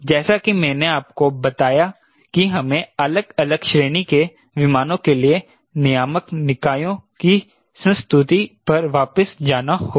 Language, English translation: Hindi, as i told you, we have to go back to the regulatory bodies recommendation for different class of aircraft